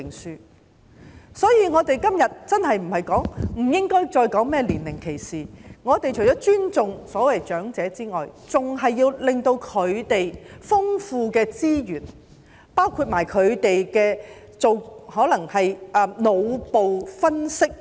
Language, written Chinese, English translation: Cantonese, 因此，我們現在真的不應該再說甚麼年齡歧視，我們除了要尊重所謂長者之外，更要善用他們的豐富資源，包括重用他們的分析能力。, Therefore we should really not talk about age discrimination nowadays . Apart from respecting the so - called elderly people we must also make good use of their rich resources including capitalizing on their analytical skills